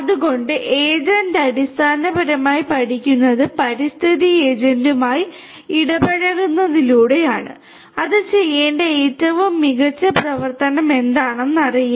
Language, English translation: Malayalam, So, agent basically learns by interacting with the environment agent does not know that what is best action that it has to take